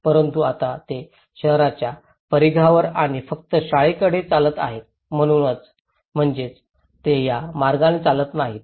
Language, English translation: Marathi, But now, they are walking on the periphery of the town and only to the school which means they are not walking from this